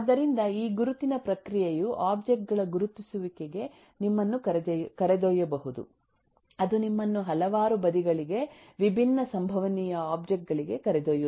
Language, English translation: Kannada, so this identification process can lead you to identification of objects, could lead you to several sides, different possible objects